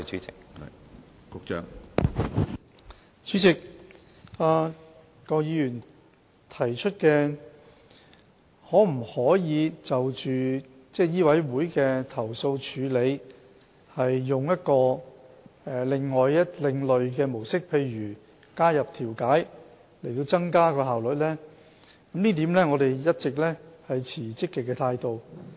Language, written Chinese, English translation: Cantonese, 主席，郭議員提出可否就醫委會的投訴處理採用另一種模式，例如加入調解方式以提高效率，對於這一點，我們一直持積極的態度。, President Dr KWOK proposed that another approach for complaint handling be adopted for MCHK such as introducing mediation to enhance efficiency . We have all along maintained a positive attitude about this